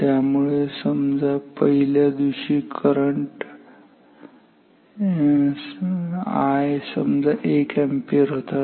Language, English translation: Marathi, Say that then for day in day 1 when this current I was say 1 ampere ok